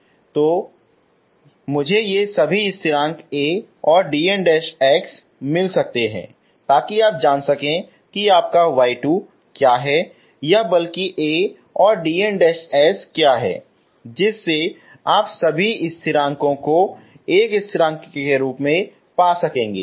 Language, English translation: Hindi, Either I may get all these constants A and d ns so that you know exactly what is your y 2 or rather A and d ns, you will be able to find all these constants in terms of one constant, okay